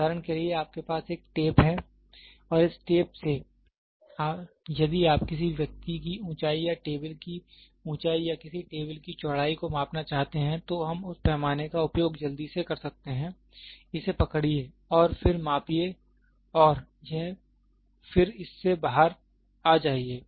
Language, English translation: Hindi, For example, you have a tape, this tape if you want to measure the height of a person or height of a table or width of a table, we use that scale quickly, grab it and then measure it and then come out of it